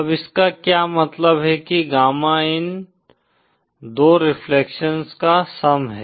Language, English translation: Hindi, Now what it means is that gamma in is the sum of 2 reflections